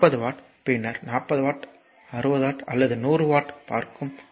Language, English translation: Tamil, So, 40 watt that later will see 40 watt, 60 watt or 100 watt right